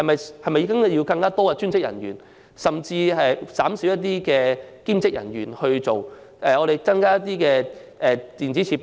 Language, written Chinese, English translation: Cantonese, 是否應該聘請更多專職人員，甚至減少兼職人員，而增加一些電子設備？, Should more designated staff and fewer part - time staff be recruited and should more electronic facilities be utilized?